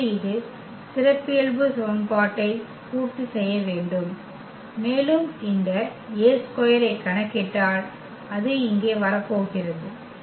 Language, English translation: Tamil, So, this should satisfy the characteristic equation and if we compute this A square that is coming to be here